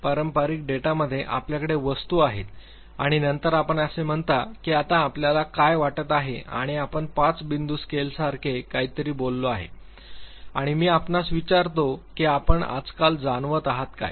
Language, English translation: Marathi, In traditional data you have the items and then you say that what are you feeling right now and you have say something like a five point scale or I ask you that have you been feeling nowadays